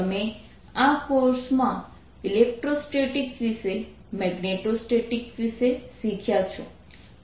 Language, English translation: Gujarati, you have learnt in this course about electrostatics, about magnitude statics